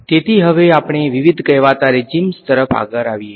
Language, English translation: Gujarati, So, now let us come to the different so called regimes